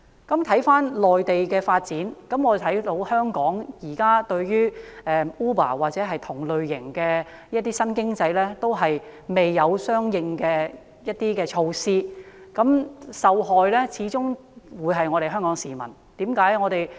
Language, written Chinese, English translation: Cantonese, 說畢內地的發展，相比之下，我們看到香港現在對於 Uber 或同類型的新興經濟，均未有相應的政策或措施，因而受害的始終是市民。, Compared to the developments on the Mainland we can see that Hong Kong currently does not have any corresponding policy or measure for Uber or similar types of new economic activities . As a result Hong Kong people will suffer after all